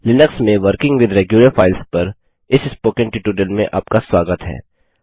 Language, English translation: Hindi, Welcome to this spoken tutorial on working with regular files in Linux